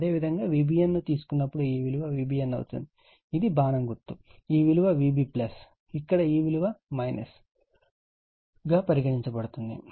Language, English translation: Telugu, Similarly, when you take V b n, so it will be V b n right this is my arrow, so this V b plus, so this is here minus